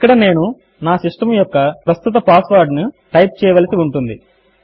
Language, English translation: Telugu, Here I would be typing my systems current password